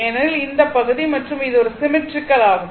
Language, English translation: Tamil, So, it is symmetrical